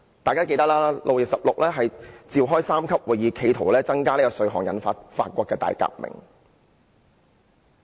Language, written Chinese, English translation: Cantonese, 大家也記得，當年路易十六召開三級會議企圖增加稅項，結果引發法國大革命。, As Members may recall Louis XVI called a meeting of the three estates in the hope of raising tax which led to the outbreak of the French Revolution